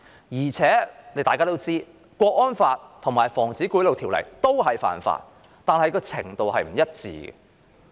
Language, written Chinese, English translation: Cantonese, 無論是觸犯《香港國安法》還是《防止賄賂條例》，兩者均屬犯法，但嚴重程度卻不一。, Whether it is a breach of the Hong Kong National Security Law or the Prevention of Bribery Ordinance both are offences but not of the same gravity